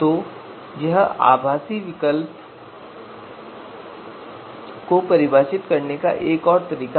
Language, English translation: Hindi, So this is another way to define virtual alternatives